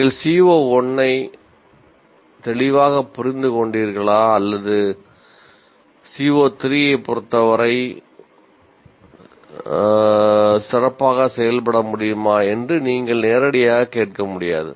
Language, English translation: Tamil, What exact, you cannot ask directly, have you understood the CO 1 clearly or have you been able to perform well with respect to CO3